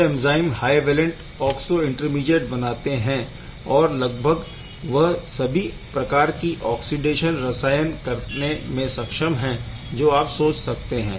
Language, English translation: Hindi, They are forming a nice high valent oxo intermediate which is capable of doing any kind of oxidation chemistry that you can think of right